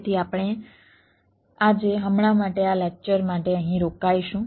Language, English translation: Gujarati, for now, for this lecture, we will stop here, thank you